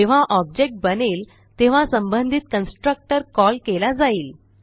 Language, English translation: Marathi, When the object is created, the respective constructor gets called